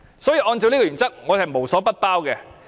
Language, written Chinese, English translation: Cantonese, 如果按照這個原則，是無所不包的。, Under this principle nothing is not covered